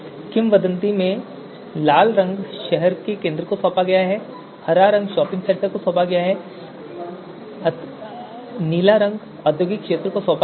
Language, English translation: Hindi, So red one is the City Centre, the green one is the shopping centre and the blue one is the industrial area